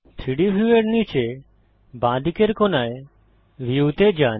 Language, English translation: Bengali, Go to View at the bottom left corner of the 3D view